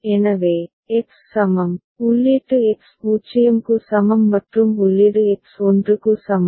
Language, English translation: Tamil, So, for X is equal to, input X is equal to 0 and input X is equal to 1